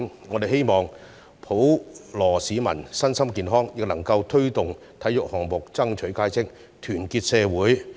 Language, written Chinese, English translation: Cantonese, 我們希望普羅市民身心健康，亦能夠推動體育項目爭取佳績，團結社會。, We hope that members of the public can be healthy both physically and mentally and that the promotion of sports will bring impressive results and social unity